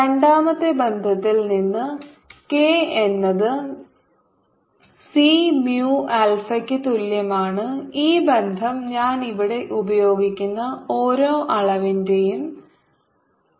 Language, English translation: Malayalam, from the second relation, which is k is equal to c, mu, info, this relation i am going to write ah, the dimensions of every quantities used here